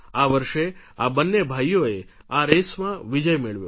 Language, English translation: Gujarati, This year both these brothers have won this race